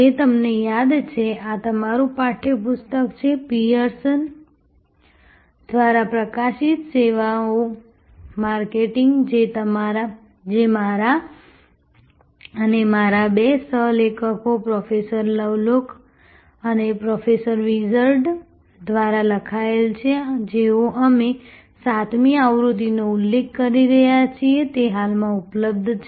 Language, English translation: Gujarati, As you remember, this is your text book, Services Marketing published by Pearson, written by me and two of my co authors, Professor Lovelock and Professor Wirtz we have been referring to the 7th edition, which is currently available